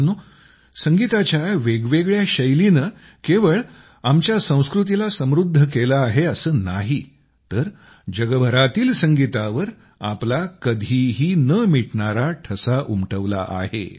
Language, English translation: Marathi, Friends, Our forms of music have not only enriched our culture, but have also left an indelible mark on the music of the world